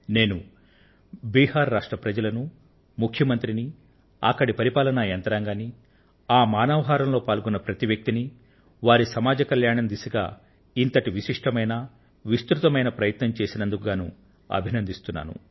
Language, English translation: Telugu, I appreciate the people of Bihar, the Chief Minister, the administration, in fact every member of the human chain for this massive, special initiative towards social welfare